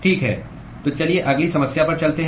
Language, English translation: Hindi, Alright, so let us move into the next problem